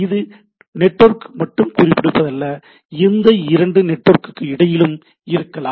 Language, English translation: Tamil, It is not only confining the one network, it can be between any two system in between any two network